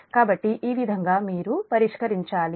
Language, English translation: Telugu, so in this case what you will do